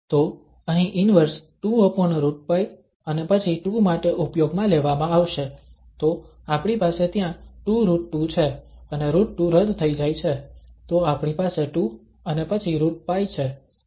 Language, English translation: Gujarati, So the inverse here will be used for square root 2 over pi and then 2, so we have 2 square root 2 there and the square root 2 gets cancelled so we have 2 and then square root pi